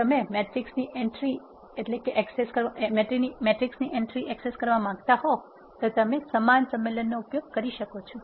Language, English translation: Gujarati, If you want to access an entry of a matrix you can use the similar convention